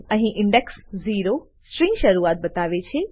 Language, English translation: Gujarati, Here index 0 specifies start of a string, i.e